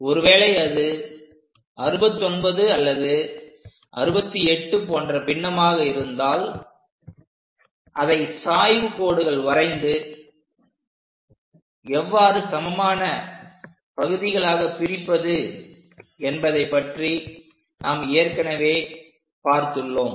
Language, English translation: Tamil, If it is fraction something like 69 mm 68 mm we have already seen how to divide into number of equal parts by using this inclined line and constructing it